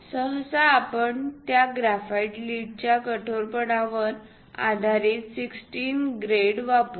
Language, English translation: Marathi, Usually, 16 grades based on the hardness of that graphite lead we will use